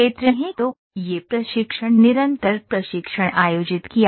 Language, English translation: Hindi, So, this training continuous training has to be conducted